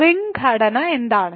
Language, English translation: Malayalam, What is a ring structure